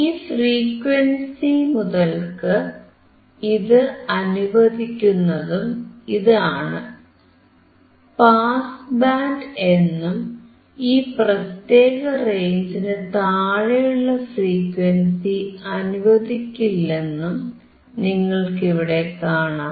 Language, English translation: Malayalam, Here you will see that, it allows the frequency from this onwards, the pass band is here and it does not allow the frequency below this particular range